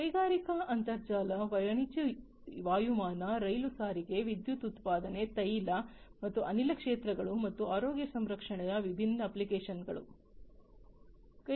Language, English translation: Kannada, Different applications of the industrial internet commercial aviation, rail transportation, power production, oil and gas sectors, and healthcare